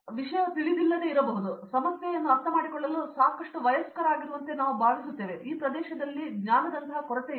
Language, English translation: Kannada, They might not know the thing, but now I feel like I am mature enough to understand it’s not my problem, but it’s their lack of like knowledge in this area